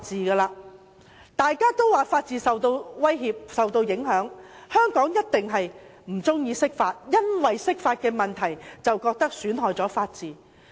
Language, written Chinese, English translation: Cantonese, 很多人都說法治受到威脅和影響，香港人一定不喜歡釋法，因為釋法損害了法治。, Many say that the rule of law has been threatened or affected and Hong Kong people certainly do not like interpretation of the Basic Law because it will undermine the rule of law